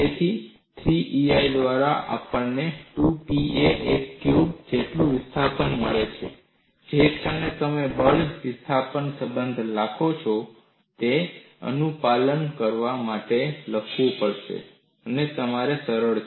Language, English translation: Gujarati, So, the displacement what we get as v equal to 2Pa cube by 3EI, the moment you write force displacement relationship, it is easier for you to write what is the compliance